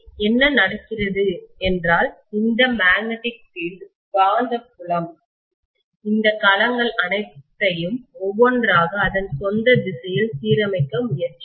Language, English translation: Tamil, So what is going to happen is, this magnetic field will try to align all these domains one by one along its own direction